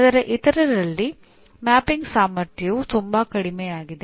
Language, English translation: Kannada, Whereas in the others, the mapping strength is much lower